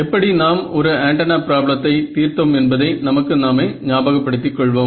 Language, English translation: Tamil, So, let us remind ourselves, how we solved the single antenna problem